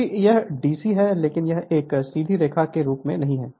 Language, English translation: Hindi, Because it is DC but it is not exactly as a straight line